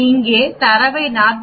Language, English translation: Tamil, We can give the data here 40